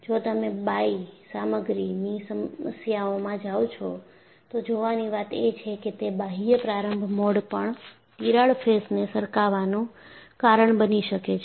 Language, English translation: Gujarati, In fact if you go for bi material problems, apparently external opening mode can also cause a sliding of the crack faces